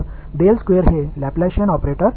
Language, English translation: Tamil, So, del squared is the Laplacian operator